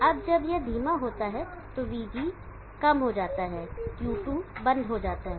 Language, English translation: Hindi, Now when this goes slow VG goes slow, Q2 goes off